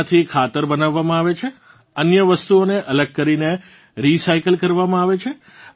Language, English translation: Gujarati, The organic waste from that is made into compost; the rest of the matter is separated and recycled